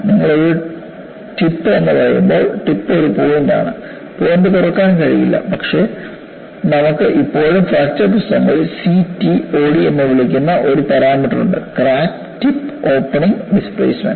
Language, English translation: Malayalam, See, when you say a tip, tip is a point; the point cannot open, but you still have in fracture literature, a parameter called CTOD crack tip opening displacement